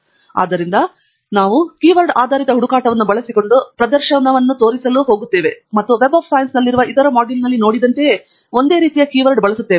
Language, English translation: Kannada, so we are going to show a demonstration using a keyword based searched, and we are going to use the same set of keywords as we have seen in the other module on web of science